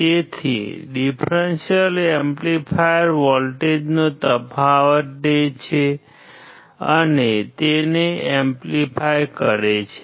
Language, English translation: Gujarati, So, differential amplifier takes the difference of voltage and amplify it